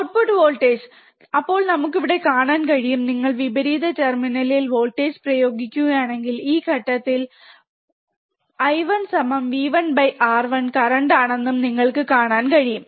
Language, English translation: Malayalam, Output voltage, then we can see here, right that if you apply voltage at the inverting terminal, you can see that I the current at this particular point I 1 would be V 1 by R 1, right